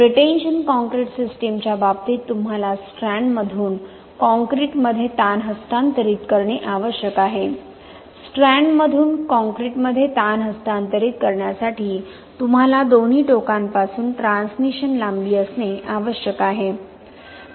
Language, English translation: Marathi, In case of pretension concrete system you need to transfer the stress from the strand to the concrete, to transfer the stress from the strand to the concrete you need to have transmission lengths from both ends